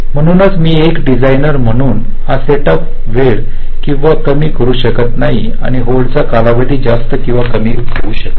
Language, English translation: Marathi, so as a designer, i cannot make this set up time longer, us or shorter, or the hold times longer or shorter